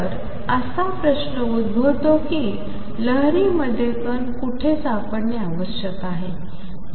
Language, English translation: Marathi, So, question arises where in the wave is the particle to be found